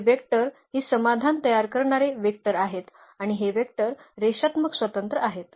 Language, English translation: Marathi, So, these vectors can the vectors that generate the solutions are these and this and these vectors are linearly independent